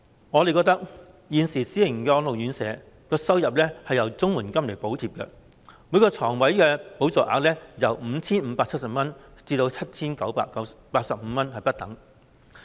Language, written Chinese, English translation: Cantonese, 我們認為，現時私營安老院舍的收入是由綜合社會保障援助補貼，每個床位的補助額由 5,570 元至 7,985 元不等。, We consider that the income of private residential care homes is subsidized by Comprehensive Social Security Assistance CSSA . The subsidy for each bed ranges from 5,570 to 7,985